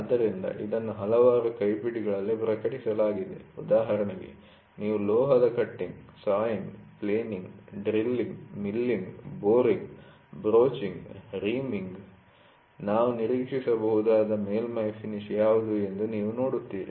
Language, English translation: Kannada, So, this is published in several hand books for example, you take metal cutting, sawing, planning, drilling, milling, boring, broaching, reaming you will see what should be the surface finish we can expect